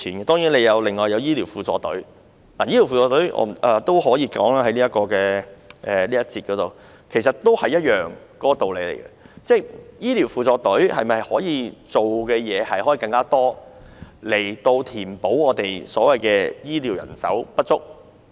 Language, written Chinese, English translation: Cantonese, 當然，還有醫療輔助隊，在這個環節我也可以說一說醫療輔助隊，其實道理也一樣，醫療輔助隊是否可以做更多的工作，以填補醫療人手不足？, Of course there is also AMS and in this session let me also say a few words on AMS . Actually the case of AMS is just the same . Can it assume more duties to make up for the shortage of health care workers?